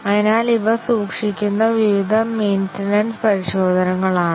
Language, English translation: Malayalam, So, these are various maintenance testing it keeps